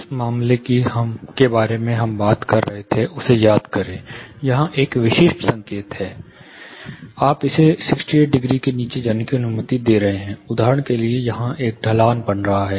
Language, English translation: Hindi, You know recollect the case we were talking about, there is a specific signal here, you are allowing it to decay down say by 68 degree for example, there is an eventual slope forming here